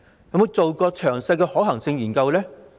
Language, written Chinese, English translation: Cantonese, 有否進行詳細的可行性研究呢？, Has it conducted a detailed feasibility study?